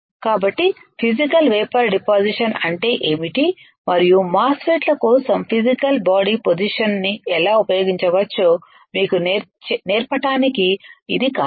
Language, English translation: Telugu, So, that is the reason of teaching you what is Physical Vapor Deposition and how we can how we can use the physical body position for MOSFETs alright